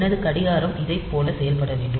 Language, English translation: Tamil, So, maybe my watch goes like this